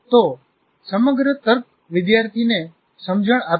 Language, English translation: Gujarati, And the entire logic makes sense to the student